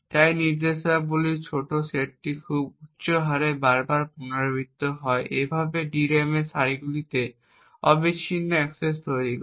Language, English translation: Bengali, So this small set of instructions is repeated over and over again at a very high rate thus posing continuous access to rows in the DRAM